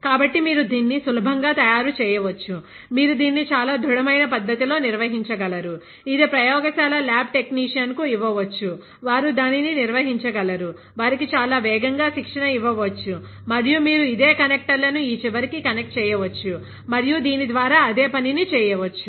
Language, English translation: Telugu, So, you can easily make it, you can handle it very in a very robust manner; it can be given to a lab technician, they can handle it, they can be trained very fast; and you can connect this a same connectors to this end and do the same work that is done by this